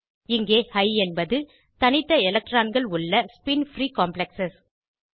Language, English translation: Tamil, Here High means spin free complexes where electrons are unpaired